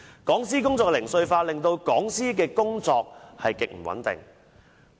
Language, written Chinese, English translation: Cantonese, 講師工作零碎化，令講師的工作極不穩定。, The work of a lecturer is highly insecure because universities are dividing their work into small parts